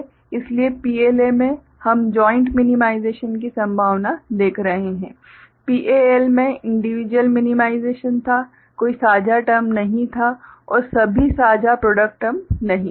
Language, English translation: Hindi, So, in PLA we are looking at possibility of joint minimization; in PAL individual minimization was there because of no shared term and all, shared product term ok